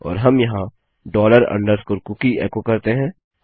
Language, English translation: Hindi, And we can echo out dollar underscore cookie here